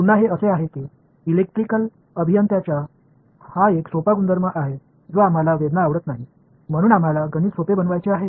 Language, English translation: Marathi, Again this is it is a simple property of electrical engineers we do not like pain so we want to make math easier right